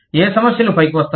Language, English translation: Telugu, What problems, come up